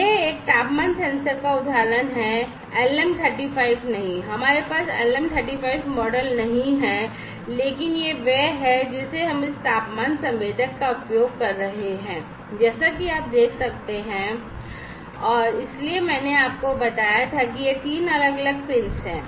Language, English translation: Hindi, So, this is an example of a temperature sensor not the LM 35, we do not have the LM 35 model, but this is the one we are using this temperature sensor as you can see and so, I told you that it has three different pins, right